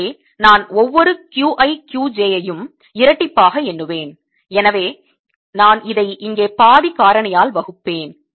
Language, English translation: Tamil, so i will be double counting each q i q j, so i divided by a factor of half a here